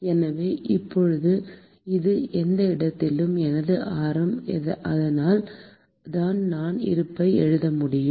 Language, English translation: Tamil, So now, so this is my radius at any location and so I could write my balance